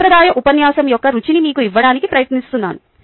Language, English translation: Telugu, i am trying to give you a flavor of a traditional lecture